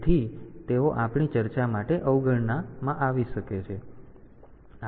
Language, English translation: Gujarati, So, they can be neglected for our discussion